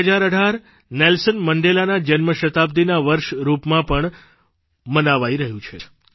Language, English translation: Gujarati, The year2018 is also being celebrated as Birth centenary of Nelson Mandela,also known as 'Madiba'